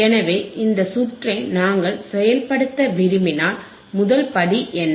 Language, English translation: Tamil, So, if we want to implement this circuit, what is the first step